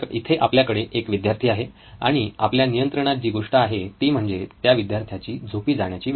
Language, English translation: Marathi, Here is the student and what we have in our control is the hour of going to sleep